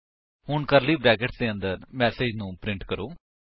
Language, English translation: Punjabi, Alright, now inside the curly brackets, let us print a message